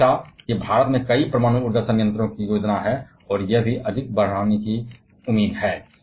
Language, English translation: Hindi, And as there are several nuclear power plants are planned in India it is expected to increase even more